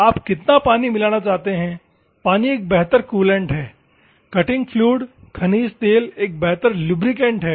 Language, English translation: Hindi, How much water you want to mix, water is a better coolant; cutting fluid mineral oil is a better lubricant